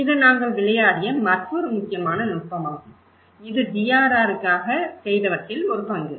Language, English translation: Tamil, This is another important technique which we played; this is one role play for DRR